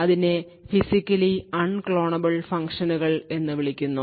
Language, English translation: Malayalam, Now what are Physically Unclonable Functions